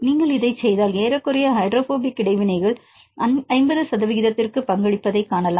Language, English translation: Tamil, If you do this then you can see approximately the hydrophobic interactions contribute to 50 percent